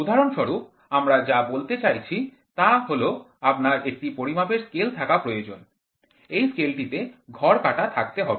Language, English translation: Bengali, For example, what we say is you try to have a measuring scale so, this scale has graduations